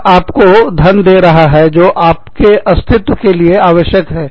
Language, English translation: Hindi, That is giving you the money, you need to survive